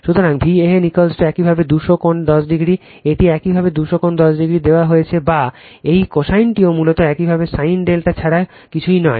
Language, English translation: Bengali, So, V a n is equal to your 200 angle 10 degree right, it is given your 200 angle 10 degree or whether this cosine also basically nothing but your sin delta right